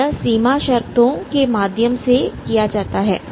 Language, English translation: Hindi, And you have these boundary conditions like this